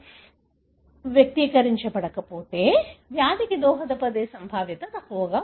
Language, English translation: Telugu, If a gene is not expressed in skin tissue, probability that may be contributing to the disease is less likely